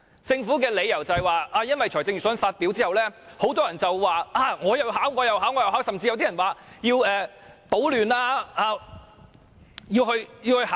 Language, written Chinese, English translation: Cantonese, 政府表示，這是因為預算案發表後，很多人都說要去參加考試，甚至有些人更說要去搗亂。, According to the Government after the delivery of the Budget many people said that they would sit for HKDSE and some even said that they would stir up trouble